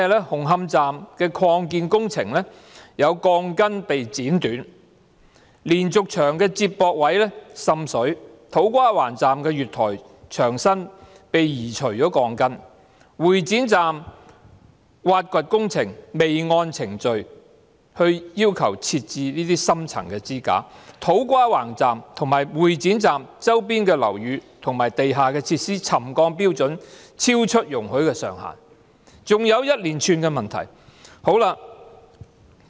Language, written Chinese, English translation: Cantonese, 紅磡站的擴建工程有鋼筋被剪短、連續牆的接駁位滲水、土瓜灣站的月台牆身鋼筋被移除、會展站的挖掘工程未按程序要求設置深層支架、土瓜灣站和會展站周邊的樓宇和地下設施的沉降標準超出容許的上限，還有一連串其他問題。, They include among a litany of other issues rebars at the Hung Hom Station Extension being cut and water seepage at the connection joints of its diaphragm wall the removal of rebars at platform slab of To Kwa Wan Station the failure to install in - depth supports in accordance with procedural requirements in the course of excavation at Exhibition Centre Station as well as the settlement levels of the buildings and underground facilities in the vicinity of To Kwa Wan Station and Exhibition Centre Station exceeding the permissible ceilings